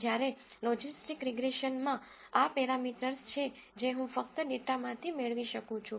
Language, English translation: Gujarati, Whereas, in logistics regression, these are parameters I can derive only from the data